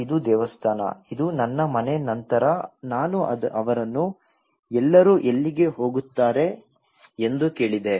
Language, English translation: Kannada, this is temple then this is my house then I asked them where are all used to go